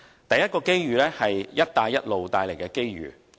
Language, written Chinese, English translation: Cantonese, 第一個機遇是"一帶一路"帶來的機遇。, The first opportunity is the prospects brought by Belt and Road